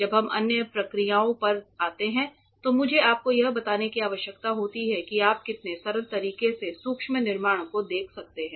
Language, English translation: Hindi, When we come to other processes I need to tell you how very in a simplistic manner you can look at micro fabrication